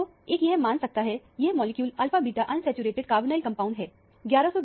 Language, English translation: Hindi, So, one can presume that, this molecule is an alpha beta unsaturated carbonyl compound